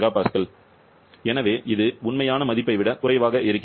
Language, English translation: Tamil, 471 mega Pascal, so it is coming lower than the true value